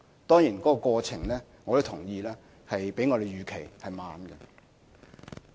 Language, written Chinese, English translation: Cantonese, 當然，我同意過程較我們預期的慢。, Of course I agree that the progress is slower than expected